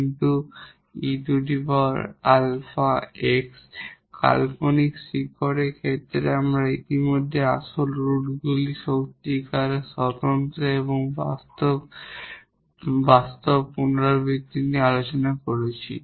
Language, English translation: Bengali, Case of the imaginary roots, so we have discussed already the real roots real distinct and also real repeated